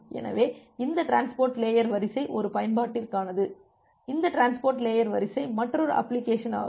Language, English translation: Tamil, So, this transport layer queue is for one application, this transport layer queue is another application